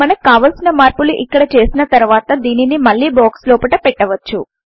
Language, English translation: Telugu, Once we are satisfied with any changes that we may want here, we can put it back inside the box